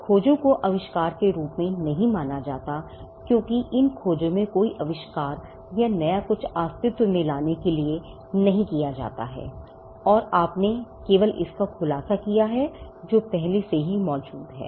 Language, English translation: Hindi, Discoveries are not regarded as inventions because discoveries do not lead to inventing or coming up with something new something existed, and you merely revealed it